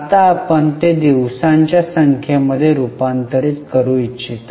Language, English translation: Marathi, Now, would you like to convert it into number of days